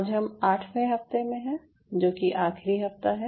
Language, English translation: Hindi, so today we are into the eighth week, which is, ah, essentially the final week of it